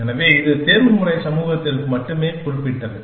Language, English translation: Tamil, So, this is just particular to the optimization community